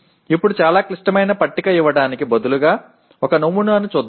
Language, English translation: Telugu, Now let us look at a sample instead of a giving a very complex table